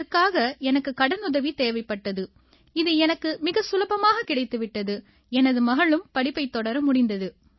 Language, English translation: Tamil, I needed to take a bank loan which I got very easily and my daughter was able to continue her studies